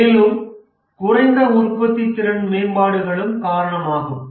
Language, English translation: Tamil, And also the other reason is low productivity improvements